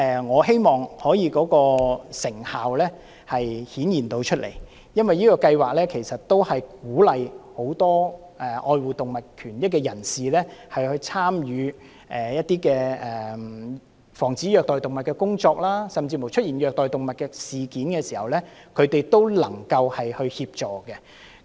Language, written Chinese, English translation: Cantonese, 我希望這計劃能獲得顯著成效，因為它鼓勵愛護動物的人士參與防止虐待動物的工作，甚至在出現虐待動物的事件時，他們也能夠協助。, I hope that this programme can achieve remarkable results as it encourages those who care for animals to join in the efforts to prevent cruelty to animals and enables them to offer assistance when cases of cruelty to animals happen